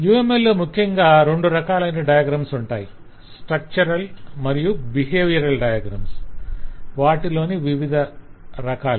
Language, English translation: Telugu, uml majorly contains two types of diagrams: structural and behavioral diagrams, and we have seen variety of structural and behavioral diagrams